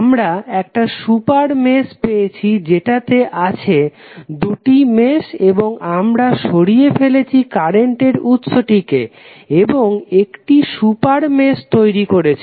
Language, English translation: Bengali, We get a super mesh which contains two meshes and we have remove the current source and created the super mesh